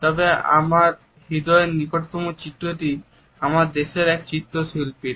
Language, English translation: Bengali, However the painting which is closest to my heart is a painting by one of my countrymen